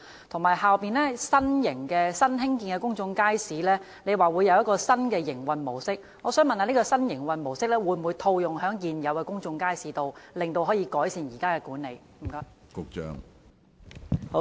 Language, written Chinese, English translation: Cantonese, 局長剛才也提到，新興建的新型公眾街市將使用新的營運模式，請問這種新營運模式會否套用於現有公眾街市，以改善現行的管理？, The Secretary also mentioned earlier that newly constructed modern public markets would adopt a new modus operandi . May I ask whether the new modus operandi will be introduced to existing public markets to enhance the existing management?